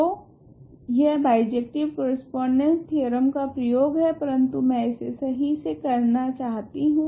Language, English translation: Hindi, So, now, this is sort of application of the bijective correspondence theorem, but I want to set it up properly